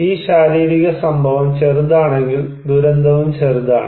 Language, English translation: Malayalam, If this physical event is small, disaster is also small